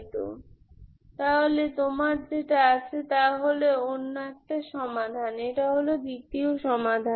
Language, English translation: Bengali, So what you have, this is another solution, this is the second solution